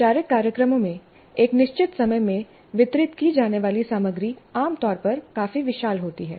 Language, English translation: Hindi, In formal programs, the content to be delivered in a fixed time is generally quite vast